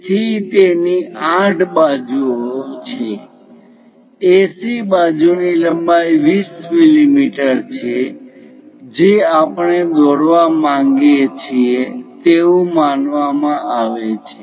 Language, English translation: Gujarati, So, it is supposed to have 8 sides AC side length is a 20 mm side we would like to construct